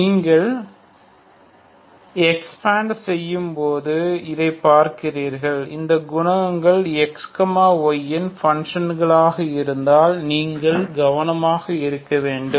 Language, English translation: Tamil, You see this when you are expanding so you have to be careful if these coefficients are functions of X Y ok